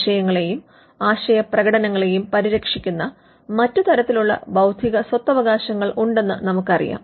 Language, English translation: Malayalam, We know that there are other forms of intellectual property rights which protect, which protect ideas and expressions of ideas